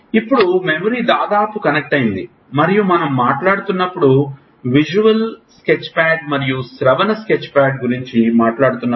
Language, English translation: Telugu, Now, almost connected to memory and when we are talking about the visual sketchpad and the auditory sketchpad while we were speaking